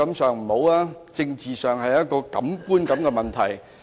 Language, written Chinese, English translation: Cantonese, 在政治上這是個觀感問題。, This is an issue of political impression